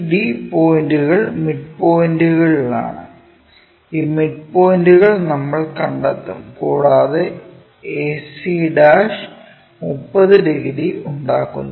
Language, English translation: Malayalam, The BD points are at midpoints and these midpoints we will locate it and this ac' makes 30 degrees